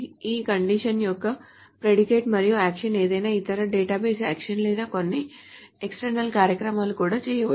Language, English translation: Telugu, The condition is a predicate, and the action is any other database action or some even external programs can be done, etc